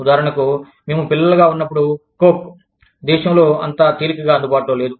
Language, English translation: Telugu, For example, when we were children, coke, was not as easily available in the country